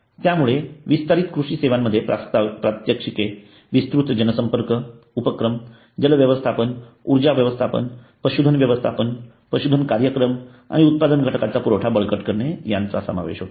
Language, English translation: Marathi, so the extension education services have the demonstrations mass contact activity have the water management energy management livestock management livestock programs and the strengthening input supply